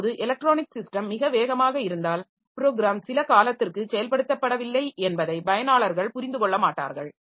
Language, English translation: Tamil, Now, since the electronic system is very fast so users will not understand that my program was not executed for some amount of time